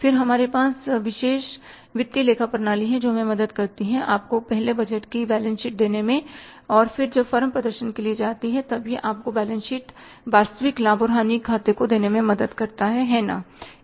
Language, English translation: Hindi, Then we have the specialized financial accounting system which helps us to say give you the budgeted balance sheets first and then it helps you to give you the actual balance sheets, actual profit and loss accounts when the firms go for the performance